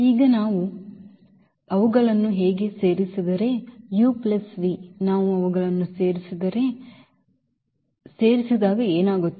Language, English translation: Kannada, And now if we add them so, u plus v if we add them so, what will happen when we add them